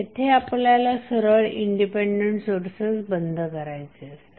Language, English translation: Marathi, We have to simply turn off the independent sources